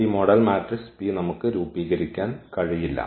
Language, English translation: Malayalam, So, having this we can now form this P the model matrix P